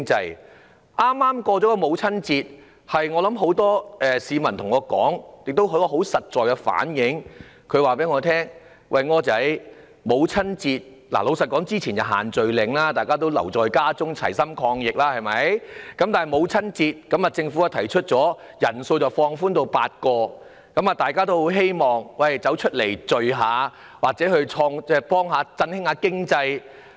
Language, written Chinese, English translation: Cantonese, 在剛過去的母親節，很多市民對我說，也很實在反映他們的心聲："柯仔"，之前實施了限聚令，大家留在家中齊心抗疫；在母親節前夕，政府提出把限聚令的人數限制放寬至8人，所以大家很希望能外出聚會，幫忙振興經濟。, On the Mothers Day that just passed many people told me and genuinely expressed their wishes OR previously with the social gathering restrictions in place people stayed at home in a bid to fight the epidemic together; on the eve of the Mothers Day the Government announced a relaxation of the limit of gatherings to eight so people really long to go out and gather to help revive the economy